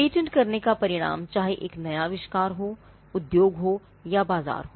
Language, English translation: Hindi, Now, whether patenting results in a new invention industry or a market